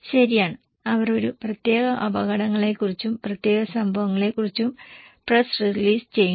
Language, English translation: Malayalam, Right, they do press release about a particular hazards, particular events